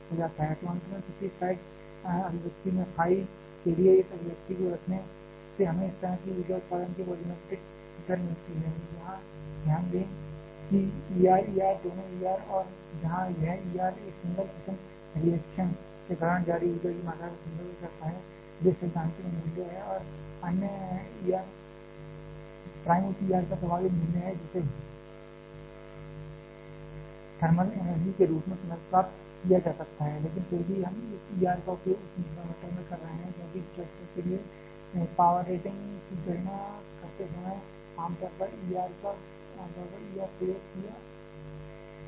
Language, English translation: Hindi, So, finally, putting this expression for phi in the previous slide expression we get the volumetric rate of energy generation of form like this here just note that E R E R are both of E Rs where this E R refers to the amount of energy released during a single fission reaction, these are theoretical value and E R prime is the effective value of that E R which can be recovered in the form of thermal energy, but still we are using this E R in that denominator, because while calculating the power rating for a reactor generally the E R is used